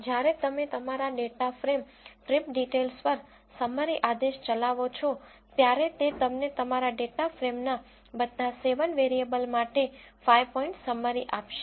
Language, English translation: Gujarati, When you execute the summary command on your data frame trip details, it will give you 5 point summary for all the 7 variables of your data frame